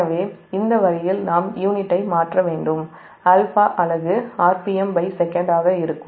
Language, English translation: Tamil, so this way we have to change the unit, that alpha unit, that will be r p m per second